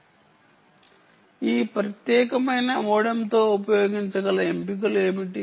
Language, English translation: Telugu, now what are the options which you can use with this particular modem